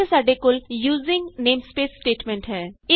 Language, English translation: Punjabi, We have the using namespace statement also